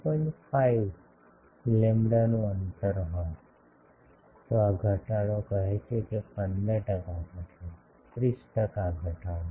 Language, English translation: Gujarati, 5 lambda, this reduction becomes say 15 percent reduction, 30 percent reduction etcetera